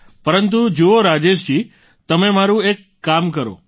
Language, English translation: Gujarati, But see Rajesh ji, you do one thing for us, will you